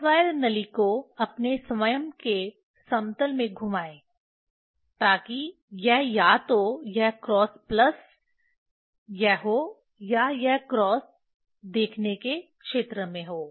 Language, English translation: Hindi, Turn the cross wire tube in its own plane to make it also either this cross this plus or this cross in the field of view